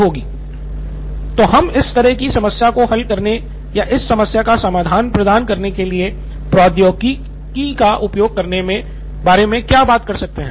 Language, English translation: Hindi, So how can we, what about using technology to solve this kind of or provide a solution to this problem